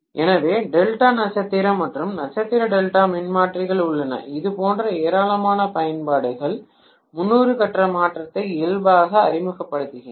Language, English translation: Tamil, So delta star and star delta transformers have plenty of applications like this because of the fact that they inherently introduce 30 degree phase shift